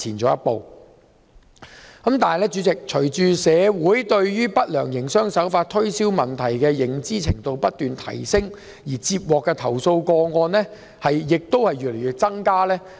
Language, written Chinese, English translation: Cantonese, 主席，隨着市民對不良營商手法和推銷問題的認知程度不斷提升，接獲的投訴個案日增。, President with heightened public awareness of the issue of unfair trade practices and undesirable sales practices the number of complaints received continue to rise